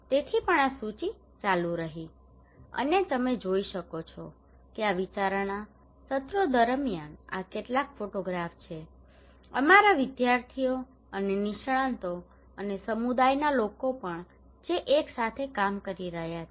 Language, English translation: Gujarati, so also this list continued, And you can see that these are some of the photographs during these brainstorming sessions here are our students and experts and also the community people who are working together